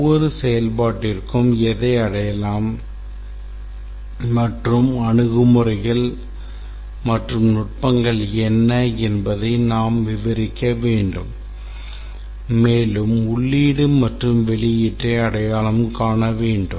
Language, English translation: Tamil, For every function we need to describe what will be achieved and what are the approaches and techniques that will be deployed and also need to identify the input and output